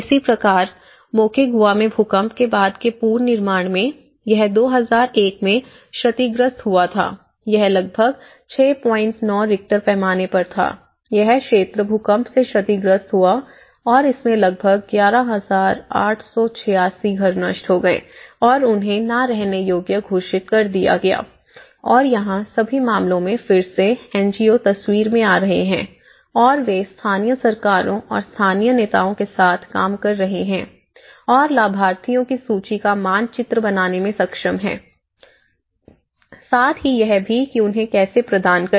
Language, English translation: Hindi, 9 Richter scale, it is struck by an earthquake and almost 11,886 houses were destroyed and declared inhabitable and here, what they did was again they did about again in all the cases the NGOs are coming into the picture and they are working with the local governments and the local leaders and they are able to map what are the lists of the beneficiaries, how to provide